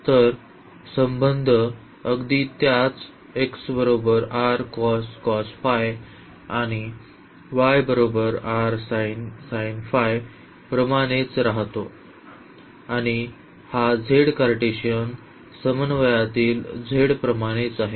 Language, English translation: Marathi, So, z is precisely the same which was in Cartesian coordinate